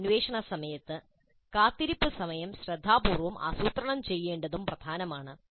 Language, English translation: Malayalam, And during this probing, it's also important to plan wait times carefully